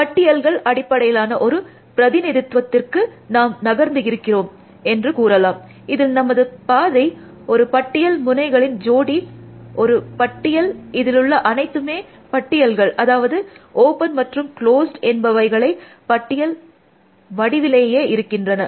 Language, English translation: Tamil, So, let us say that we have now move completely to a list based representation, where our path is a list, node pair is a list, everything is a list essentially, open is a list, close is also a list